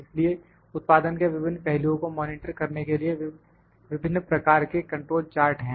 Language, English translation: Hindi, So, different types of control charts are there to monitor different aspects of production